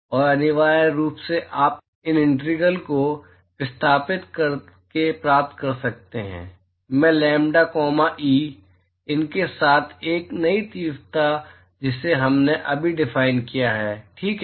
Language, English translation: Hindi, And essentially, you can get these integrals by replacing, I lambda comma e, with these a new intensities that we have just defined, all right